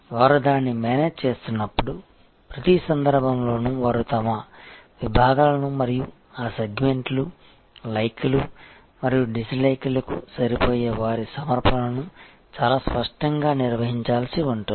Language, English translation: Telugu, And when they are managing it, in each case they will have to very clearly define their segments and their offerings which match that segments, likes and dislikes